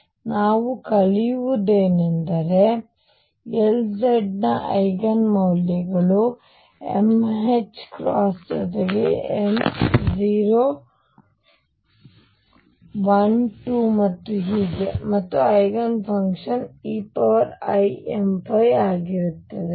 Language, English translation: Kannada, So, what we learn is that the Eigen values of L z are m h cross with m being 0 plus minus 1 plus minus 2 and so on and the Eigenfunctions are e raise to i